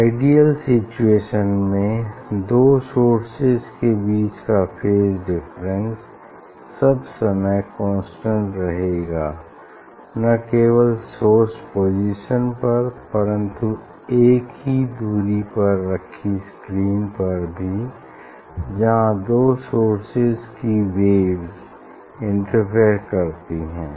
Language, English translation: Hindi, ideal concept that phase difference between two sources remain constant not only at source position for all time, but at distance of screen where waves from the two source interfere for all time